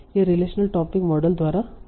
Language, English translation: Hindi, This was by relation topic models